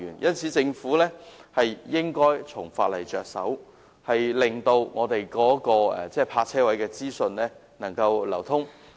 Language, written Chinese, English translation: Cantonese, 因此，政府應該從法例着手，令泊車位的資訊能夠流通。, In this connection the Government should start working on the legislation to make it possible for parking vacancy data to be circulated